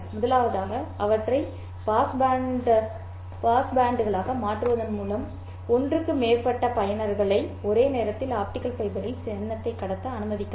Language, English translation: Tamil, First of all, by transforming them into past bands, you can allow more than one user to transmit symbol in the optical fiber at the same time